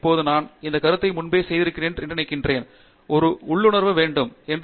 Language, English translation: Tamil, Now, as I think I have made this remark earlier as well, that you need to have an intuition